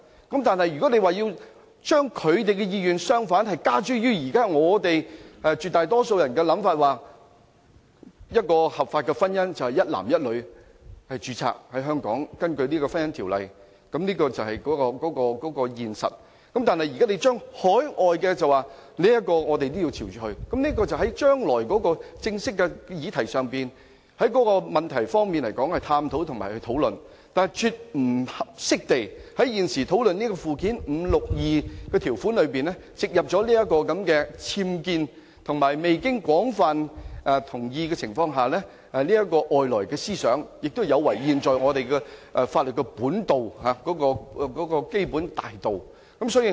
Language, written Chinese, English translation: Cantonese, 但是，如果將他們的意願加諸絕大多數人的想法——即合法婚姻是一男一女根據《婚姻條例》在香港註冊，這是現實——他們要求對於海外註冊的同性婚姻，我們亦要朝着走，我認為可以在將來正式的議題上，再作探討和討論，但現時絕不應該在關於附表5第62條的討論上，加入這個"僭建"和未取得廣泛同意的外來思想，這亦有違我們現有法律的基本大道。, But if we impose their wish on the overwhelming majority of people―as a matter of fact a legal marriage is one between a man and a woman registered under the Ordinance in Hong Kong―and accede to their request for recognizing same - sex marriages registered overseas Well I think we may further examine and discuss this matter as a formal issue in the future . But at this moment I absolutely do not think that this unauthorized structure which they seek to add without any majority approval should be included in section 62 of Schedule 5 now under debate . The proposal also violates the fundamental cardinal principle of the existing law